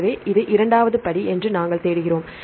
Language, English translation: Tamil, So, we search this is the second step